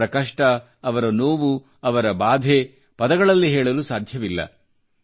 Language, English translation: Kannada, Their agony, their pain, their ordeal cannot be expressed in words